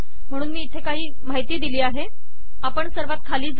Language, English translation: Marathi, So I have some information here, lets go to the bottom